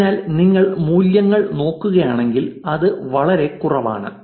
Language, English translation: Malayalam, So, if you look at the values it is pretty low, 0